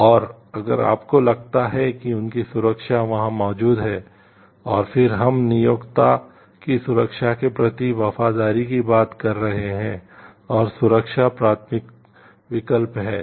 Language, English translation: Hindi, And if you find like their safety and security is there and then we are talking of the loyalty to of the employer safety and security is the primary choice